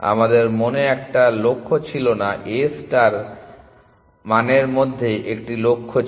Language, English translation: Bengali, It did not have a goal in mind, A star has a goal in mind